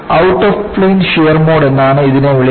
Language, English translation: Malayalam, It is called as Out of plane shear mode